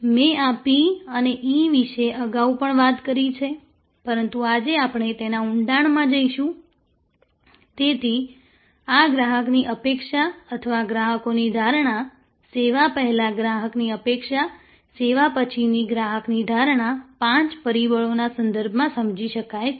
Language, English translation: Gujarati, I have talked about this p and e earlier, but today we will go deeper into it, so this customer expectation or customers perception, customer expectation before the service, customers perception after the service can be understood in terms of five factors